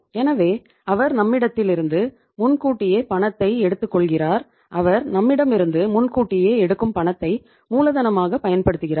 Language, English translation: Tamil, So he takes money in advance from us and that money which he takes advance from us he uses that as the working capital right